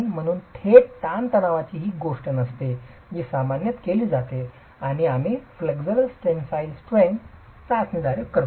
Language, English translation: Marathi, Hence a direct tension test is not something that is usually adopted and we make do with the flexual tensile strength test